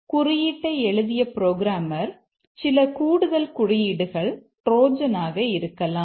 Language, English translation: Tamil, It may be possible that the programmer who has written the code, he has written some extra code which is a trojan